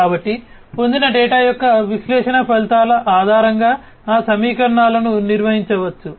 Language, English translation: Telugu, So, those equations can be performed, based on the results of analysis of the data that is obtained